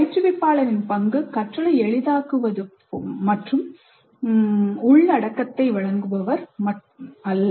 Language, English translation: Tamil, Role of instructor is as a facilitator of learning and not as provider of content